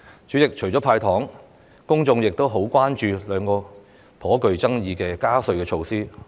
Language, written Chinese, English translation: Cantonese, 主席，除了"派糖"外，公眾亦很關注兩項頗具爭議的加稅措施。, President apart from handing out candies members of the public are also very concerned about two controversial tax increases